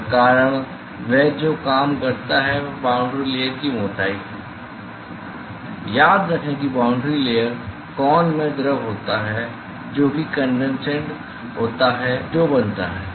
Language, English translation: Hindi, And the reason, why the that that works is the boundary layer thickness; remember that the boundary layer con consist of the fluid which is the condensate which is formed